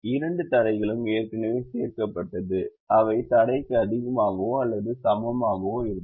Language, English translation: Tamil, the two constraints are already added and they are greater than or equal to constraint